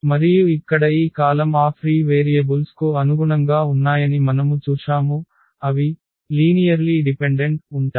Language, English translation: Telugu, And we have seen that these columns here corresponding to those free variables, they are linearly dependent